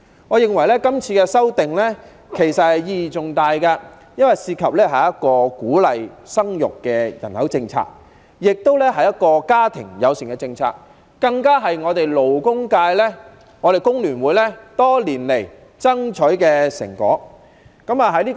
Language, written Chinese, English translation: Cantonese, 我認為今次的修訂意義重大，因為涉及一項鼓勵生育的人口政策，是一項家庭友善的政策，更是工聯會、勞工界多年來爭取的成果。, In my view this amendment exercise has significant meaning because it concerns a population policy that encourages childbearing a family - friendly policy and even the fruits of the hard work of HKFTU and the labour sector which have been fighting for many years